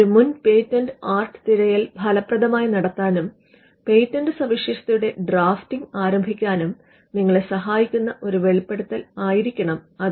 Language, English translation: Malayalam, A disclosure that will enable you to do a prior art search effectively, and to start the drafting of the patent specification itself